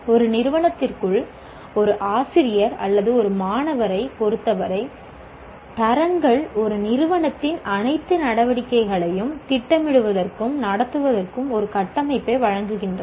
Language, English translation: Tamil, And as far as the teacher or a student is concerned within an institute, the quality standards provide a framework for planning and conducting all activities of an institution